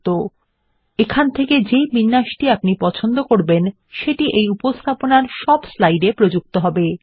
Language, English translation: Bengali, You can set formatting preferences here, which are then applied to all the slides in the presentation